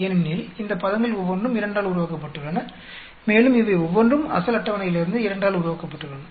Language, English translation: Tamil, Because each of these terms is made up of 2 and each of these is also made up of 2 from the original table